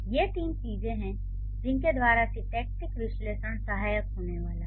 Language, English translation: Hindi, It is just that I am giving you a few instances where syntactic analysis is going to be useful